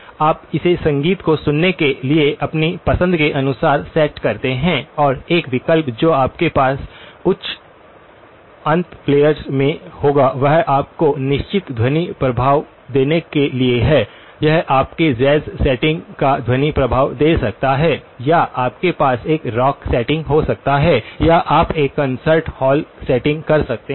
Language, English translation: Hindi, You set it to the way you like to hear the music and one of the options that you will have in high end players is to give you certain sound effects, it can give you the sound effect of a jazz setting or you can have a rock setting or you can have a concert hall setting